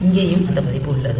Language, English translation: Tamil, So, here also we have that version